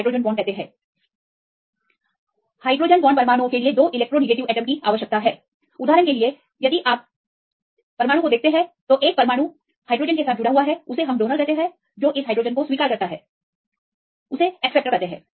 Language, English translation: Hindi, For the hydrogen bond atom with electronegative atom plus another electronegative atom; for example, if you see the atom which attached with the hydrogen this is called donor and the one which accepts this hydrogen; this is the acceptor